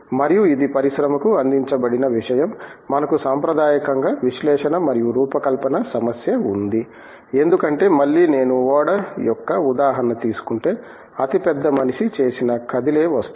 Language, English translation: Telugu, And, this is something it has been catered to the industry, that we traditionally had the problem of analysis and design because again if I take the example of a ship, is a largest man made mobile object